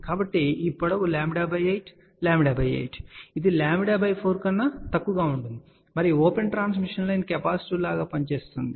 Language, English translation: Telugu, So, this length is lambda by 8 lambda by 8 is less than lambda by 4 and open transmission line will act like a capacitive